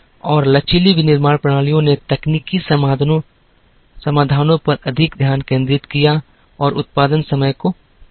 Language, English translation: Hindi, And flexible manufacturing systems focused more on technological solutions and reduced the production time